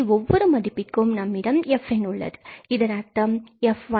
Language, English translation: Tamil, So, having this fn for each value of n, we have fn, that means f1, f2, f3 and so on